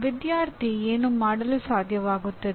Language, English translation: Kannada, What should the student be able to do